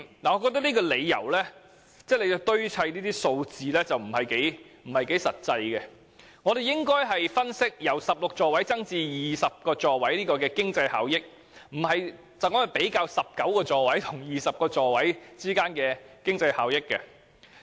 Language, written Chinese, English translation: Cantonese, "我覺得政府堆砌數字的做法有欠實際，反而應該分析由16座位增至20座位的經濟效益，而不是比較由19座位增至20座位的經濟效益。, I think it is just unrealistic for the Government to play with the figures . It should analyse the economic benefits of increasing the seating capacity from 16 to 20 instead of comparing the economic benefits of increasing the number of seats from 19 to 20